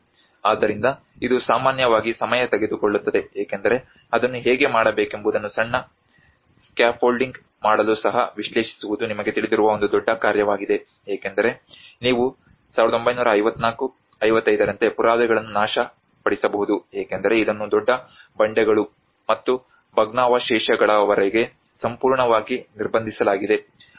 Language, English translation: Kannada, \ \ So, it normally takes time because even analyzing to make a small scaffolding how to do it is also a big task you know because you might destroy the evidence like in 1954 55 this has been completely blocked up to the big boulders and debris